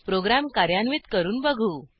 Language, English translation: Marathi, Let us execute the program and see